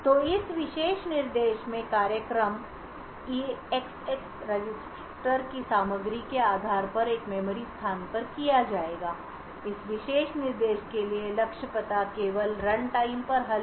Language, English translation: Hindi, So, in this particular instruction the program would branch to a memory location depending on the contents of the eax register, the target address for this particular instruction can be only resolved at runtime and therefore this instruction is also an unsafe instruction